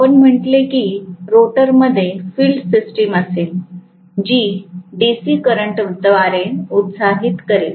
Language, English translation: Marathi, And we said that the rotor will have the field system, which will be excited by DC current